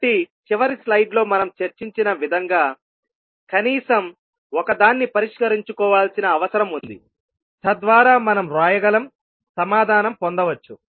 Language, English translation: Telugu, So that is what we have discussed in the last slide that we need to fix at least one so that we can write, we can get the answer